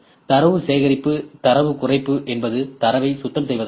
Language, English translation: Tamil, Data collection, data reduction means we clean the data; data cleaning ok